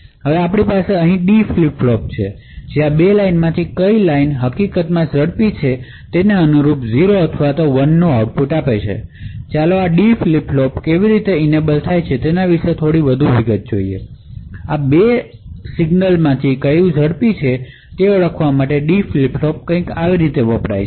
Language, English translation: Gujarati, So we also now have a D flip flop over here which measures which of these 2 lines is in fact faster and correspondingly gives output of either 0 or 1, so let us look in more details about how this D flip flop actually is able to identify which of these 2 signals is indeed faster